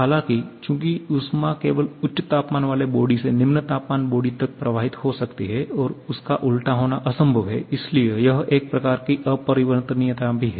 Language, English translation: Hindi, However, as heat can flow only from high temperature body to a low temperature body and the reverse is impossible therefore that is also a kind of irreversibility